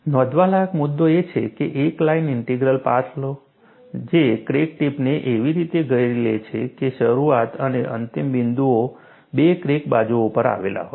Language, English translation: Gujarati, The key point to note is, take a line integral path that encloses the crack tip, such that, the initial and end points lie on the two crack faces